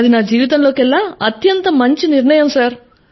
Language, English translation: Telugu, It was the greatest & the best decision of my life Sir